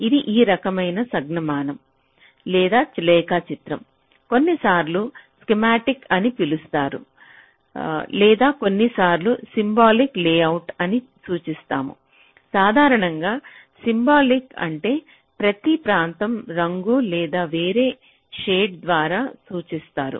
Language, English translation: Telugu, now, this is, ah, this kind of a notation or this kind of a diagram is sometimes called as schematic, or we also sometimes refer to as a symbolic layout, but usually symbolic means each of our regions are represented by either a color or different shade